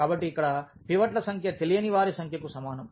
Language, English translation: Telugu, So, the number of pivots here is equal to number of unknowns